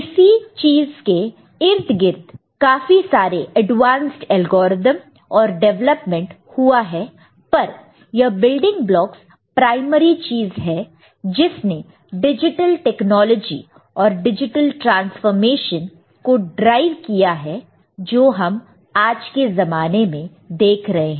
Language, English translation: Hindi, Of course, there are many advanced algorithms so many other developments around it, but this building blocks are the primary things which actually has driven the digital technologies and digital transformations that we are seeing today